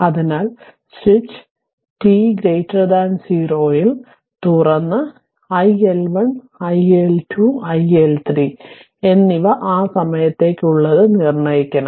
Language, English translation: Malayalam, So, the switch is opened at t greater than 0 and determine iL1 iL2 and iL3 for t greater than 0